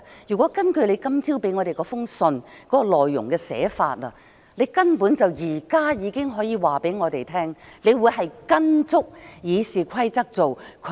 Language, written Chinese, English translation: Cantonese, 如果根據你今早給我們的信的內容，你根本現在已經可以告訴我們，你會嚴格按照《議事規則》行事。, If the contents of the letter you sent us this morning are anything to go by you can actually already tell us now that you will act strictly in accordance with the RoP